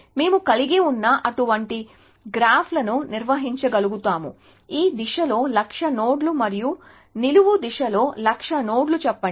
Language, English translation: Telugu, We should be able to handle such graphs which have, let us say hundred thousand nodes in this direction and hundred thousand nodes in the vertical direction